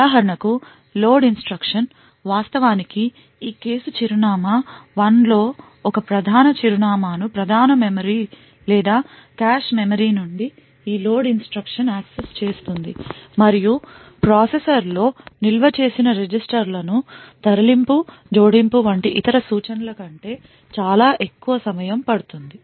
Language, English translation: Telugu, For example since we know that the load instruction actually would access a particular address in this case address 1 from the main memory or from say a cache memory this load instruction would take considerably longer than other instructions like the move and add which are just performed with registers stored within the processor